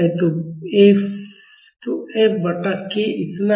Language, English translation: Hindi, So, F by k is this much